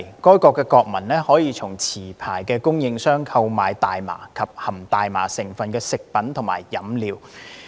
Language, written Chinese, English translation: Cantonese, 該國國民可以從持牌供應商購買大麻及含大麻成分的食品和飲料。, Nationals of that country may purchase cannabis as well as food products and drinks containing cannabis from licensed suppliers